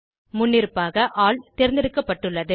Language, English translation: Tamil, By default All is selected